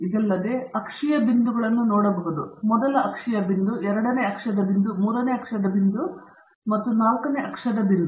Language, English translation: Kannada, In addition to that, you have the axial points you can see this is the first axial point, second axial point, third axial point and fourth axial point